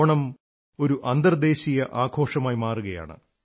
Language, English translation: Malayalam, Onam is increasingly turning out to be an international festival